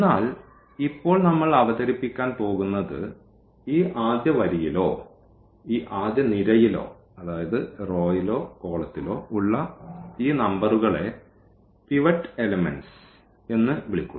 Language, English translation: Malayalam, But, what is now we are going to introduce this that these numbers here in this first row or in this first column this is called the pivot elements